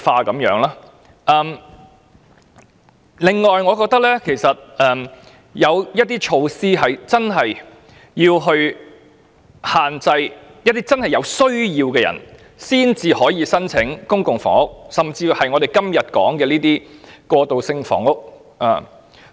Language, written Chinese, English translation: Cantonese, 我認為，政府真的應該推出措施加以限制，例如規定有真正需要的市民才可以申請公屋，甚或是我們今天討論的過渡性房屋。, In my opinion the Government should really introduce measures to impose controls . For example only members of the public who have genuine needs can apply for public housing or even the transitional housing that we are discussing today